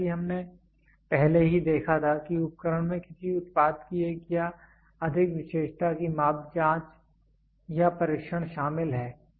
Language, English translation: Hindi, As we already saw the instrument involves measurement investigation or testing of one or more characteristic of a product